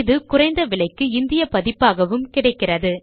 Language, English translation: Tamil, This book is available in a low cost Indian edition as well